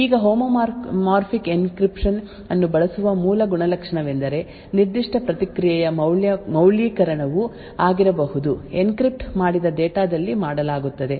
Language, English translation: Kannada, Now the basic property of using homomorphic encryption is the fact that the validation of the particular response can be done on encrypted data